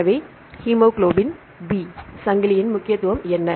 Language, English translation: Tamil, So, hemoglobin B chain what is the importance of hemoglobin B chain